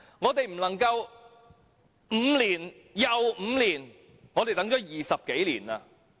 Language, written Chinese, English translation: Cantonese, 我們不能5年後又等5年，我們已等了20多年。, We cannot wait for another five years after waiting for five years already . We have waited for more than 20 years